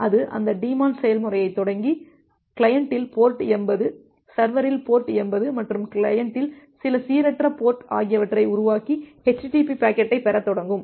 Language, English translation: Tamil, So, it will start that daemon process and create the socket at port 80 at the client, port 80 at the server and some random port at that the client and start receiving the http packet